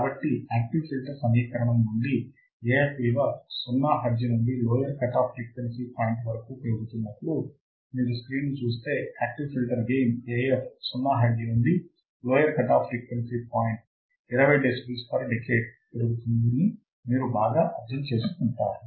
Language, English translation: Telugu, So, then from the active filter equation, we have found that as Af increases from 0 hertz to low frequency cutoff point, if you see the screen, then you will understand better that active filter has a gain Af that increases from 0 hertz to low frequency cutoff point fc at 20 decibels per decade